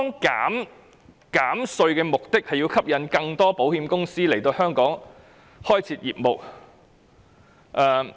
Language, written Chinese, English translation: Cantonese, 減稅的目的是為吸引更多保險公司來香港開設業務。, The tax reduction aims to attract more insurance companies to set up business in Hong Kong